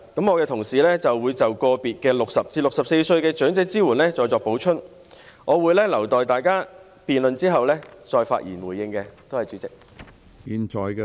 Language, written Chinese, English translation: Cantonese, 我的同事會就個別對60歲至64歲的長者支援再作補充，我會留待在大家辯論後，再發言回應，多謝主席。, My colleagues will make additional comments on the support for elderly persons aged between 60 and 64 and I will wait until Members have debated the motion before giving my response